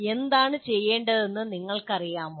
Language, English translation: Malayalam, Do you know what is to be done